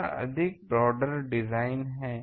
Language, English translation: Hindi, It is a more broader design